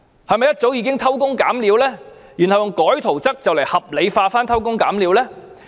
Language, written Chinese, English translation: Cantonese, 是否一早已偷工減料，然後以更改圖則來合理化偷工減料的做法？, Is it that jerry - building practices had long been at work and so the drawings were altered in order to rationalize these practices?